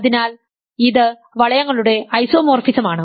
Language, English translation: Malayalam, So, this is an isomorphism of rings ok